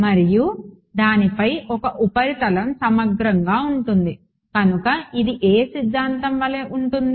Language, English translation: Telugu, And a surface integral over it, so that is like which theorem